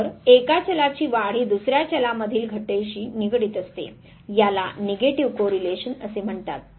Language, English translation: Marathi, So, increase in one variable is associated with decrease in the other variable this is called Negative Correlation